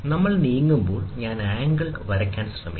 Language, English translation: Malayalam, So, when we move, I will try to draw the angle